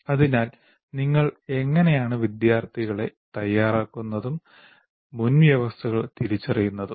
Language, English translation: Malayalam, So how do you kind of prepare the student for that, the prerequisites for that